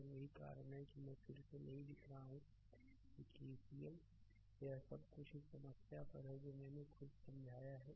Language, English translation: Hindi, And that is why I am not writing again KCL is here all this things on the problem itself I have explained